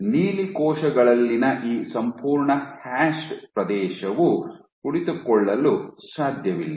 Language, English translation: Kannada, So, this entire hashed region in blue cells cannot sit